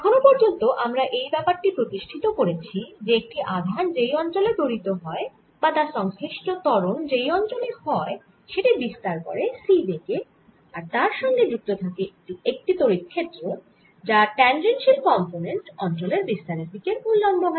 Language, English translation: Bengali, so far of we have established that one a charged accelerates the region or, corresponding to acceleration, propagates out with speed, see, and it has an electric field, that is, has a tangential component, all the components which perpendicular to direction of propagation of that region